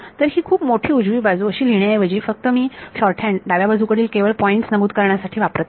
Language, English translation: Marathi, So, instead of writing this very long right hand side, I just use this shorthand for the left hand side I just mention which are the points